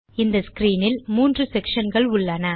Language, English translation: Tamil, This screen is composed of three main sections